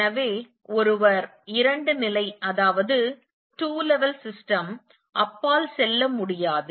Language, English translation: Tamil, So, one goes beyond to the two level systems